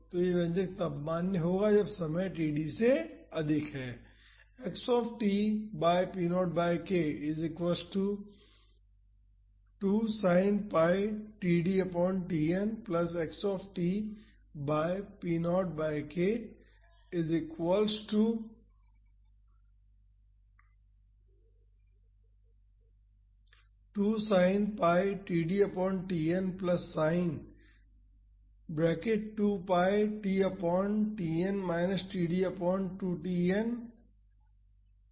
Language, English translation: Hindi, So, this expression is valid when time is greater that td